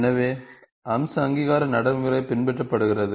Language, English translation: Tamil, So, the feature recognition procedure is followed